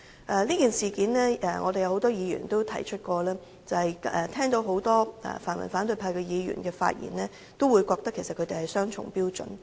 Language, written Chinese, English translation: Cantonese, 就着這件事，很多議員均曾提出很多泛民反對派議員所作發言，充分顯示他們持雙重標準。, On this issue a number of Members have quoted the remarks made by many opponents in the pan - democratic camp indicating fully that they have adopted double standards